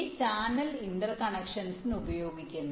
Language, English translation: Malayalam, this channel is used for interconnection